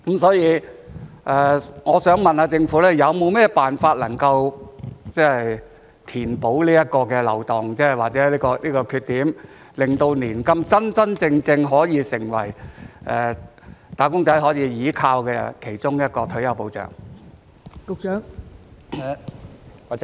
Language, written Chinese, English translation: Cantonese, 所以，我想問政府有沒有甚麼辦法填補這個漏洞或缺點，令年金真真正正成為"打工仔"可以依靠的其中一項退休保障？, Therefore I would like to ask the Government whether there is any way to fill this loophole or shortcoming so that the annuity will truly become one of the retirement protection arrangements that wage earners can rely on?